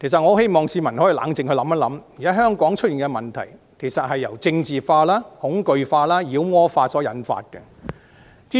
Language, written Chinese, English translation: Cantonese, 我希望市民可以冷靜下來想一想，現時香港出現的問題，其實是政治化、恐懼化、妖魔化所造成的。, I hope the public will calm down and do some thinking . The problems prevailing in Hong Kong are indeed caused by politicization intimidation and demonization